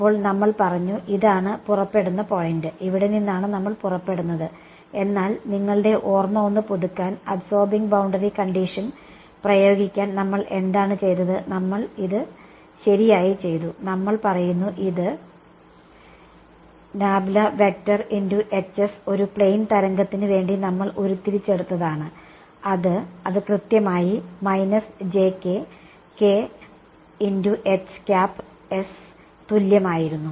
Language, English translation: Malayalam, Then we said this is the point of departure right this is where we will make a departure, but just to refresh your memory what did we do to apply the absorbing boundary condition we did this right we said that this del cross H s for a plane wave we have derived it, it was exactly equal to jk k hat cross H s